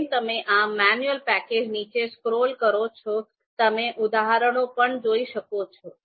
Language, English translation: Gujarati, And you would see as you scroll down this manual page, you would see examples also